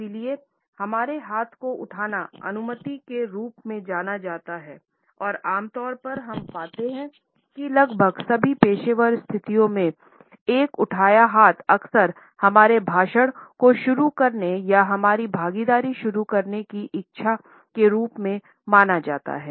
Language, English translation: Hindi, Therefore, raising our hand has come to be known as seeking permission or getting once turned to his speak and normally we find that in almost all professional situations, a raised hand is often considered to be a desire to begin our speech or begin our participation